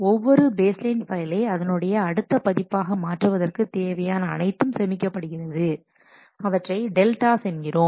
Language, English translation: Tamil, The changes needed to transform each baseline file to the next version are stored and are called delta